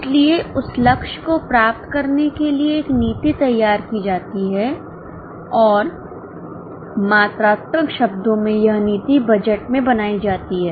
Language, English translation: Hindi, So, a policy to achieve that target is prepared and that policy in quantitative terms is built up in the budget